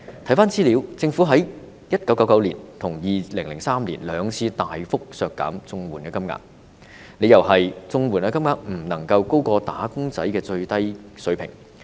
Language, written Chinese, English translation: Cantonese, 翻查資料，政府在1999年跟2003年兩次大幅削減綜合社會保障援助金額，理由是綜援金額不能高過"打工仔"的低薪水平。, I have looked up some information . The Comprehensive Social Security Assistance CSSA rates were substantially reduced twice by the Government in 1999 and 2003 on the ground that the CSSA rates should not be higher than the low wage levels of wage earners